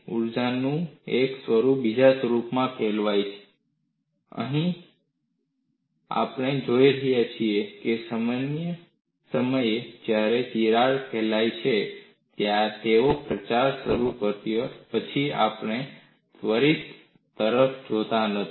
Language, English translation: Gujarati, One form of energy turns into another form, and here again, we look at the point when the crack is about to propagate; we are not looking at the instance after it has started propagating